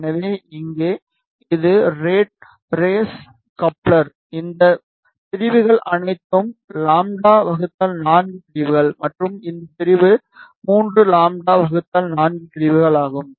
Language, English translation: Tamil, So, here this is rat race coupler, the all these sections are lambda by 4 sections and this section is 3 lambda by 4 sections